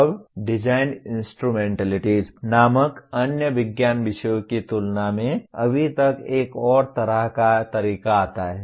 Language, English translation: Hindi, Now comes yet another kind of somewhat way compared to other science subjects called Design Instrumentalities